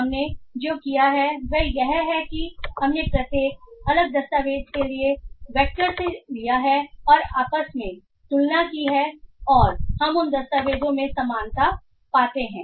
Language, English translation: Hindi, So what we have done is that we have taken the vectors for each different document and we have compared amongst themselves and we find the similarity between those documents